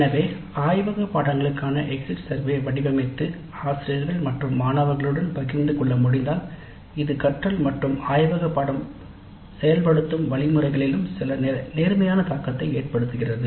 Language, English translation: Tamil, So, if we can design an exit survey for the laboratory courses upfront and share it with faculty and students, it has some positive impact on the learning as well as the way the laboratory course is implemented